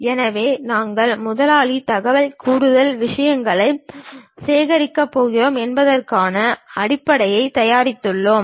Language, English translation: Tamil, So, we have prepared base on that we are going to add boss information, extra things